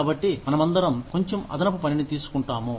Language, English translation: Telugu, So, we all take on, a little bit of extra work